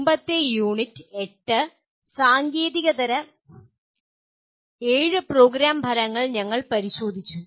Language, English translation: Malayalam, We looked at in the previous Unit 8, the seven non technical Program Outcomes